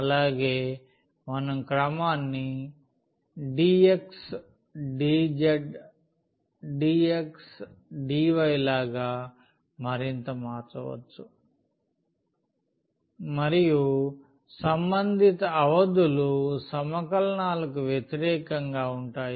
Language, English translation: Telugu, Also we can further change like the order dx dz dx dy and that corresponding limits will against it over the integrals